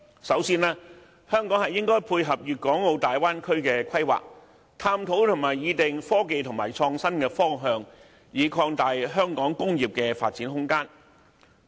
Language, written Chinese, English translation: Cantonese, 首先，香港應配合粵港澳大灣區的規劃，探討和擬定科技和創新方向，以擴大香港工業的發展空間。, First Hong Kong should dovetail with the planning of the Guangdong - Hong Kong - Macao Bay Area Bay Area and explore and formulate a direction for technology and innovation so as to expand the room for developing Hong Kongs industries